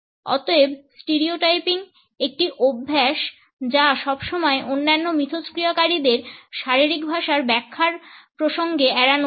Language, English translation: Bengali, Therefore, a stereotyping is a habit should always be avoided in the context of interpreting the body language of other interactants